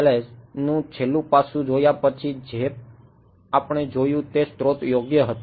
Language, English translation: Gujarati, After having looked at PML’s the last aspect that we looked at was sources right